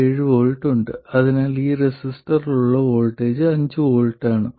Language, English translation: Malayalam, So, the voltage across this resistor is 5 volts